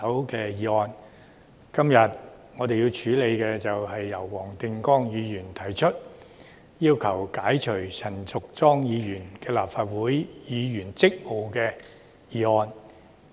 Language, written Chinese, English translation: Cantonese, 今天，我為何支持黃定光議員提出的議案，解除陳淑莊議員的立法會議員職務呢？, Why do I support the motion moved by Mr WONG Ting - kwong today to relieve Ms Tanya CHAN of her duties as a Member of the Legislative Council?